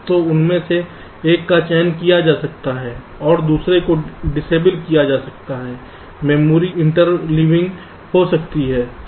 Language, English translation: Hindi, they are accessed parallelly, so one of them can be selected, others can be disabled, there can be memory interleaving